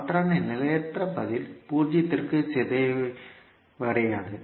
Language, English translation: Tamil, In that case transient response will not decay to zero